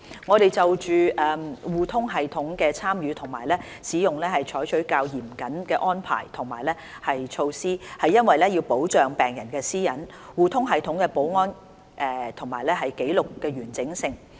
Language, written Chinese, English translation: Cantonese, 我們就互通系統的參與和使用採取較嚴謹的安排和措施，是為了保障病人的私隱、互通系統的保安和紀錄的完整性。, We have adopted more stringent arrangements and measures on the participation and use of eHRSS with a view to protecting patient privacy security of eHRSS and integrity of records